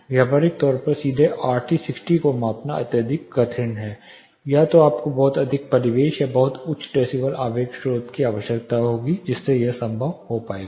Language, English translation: Hindi, In practical measurement this is highly difficult like measuring directly RT 60 either you will need a very quite ambient or a very high decibel impulsive source with which this will be possible